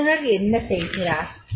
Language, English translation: Tamil, What a trainer does